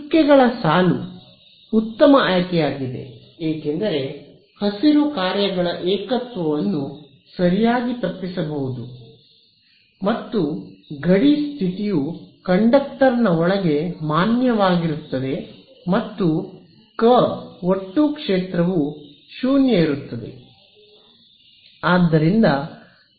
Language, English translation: Kannada, Dotted line is a better choice because singularity of green functions can be avoided right, and the boundary condition is valid inside the conductor also field total field is 0 right